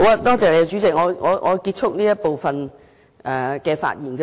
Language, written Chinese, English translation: Cantonese, 多謝主席，我會結束這部分的發言。, Thank you Chairman . I will end this part of my speech